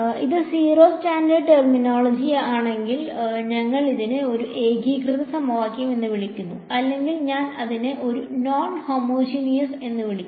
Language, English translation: Malayalam, If it is zero standard terminology we will call it a homogeneous equation and else I call it a non homogeneous